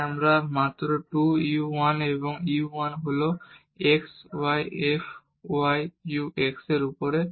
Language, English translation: Bengali, So, we get only 2 u 1 and u 1 is x y f y u over x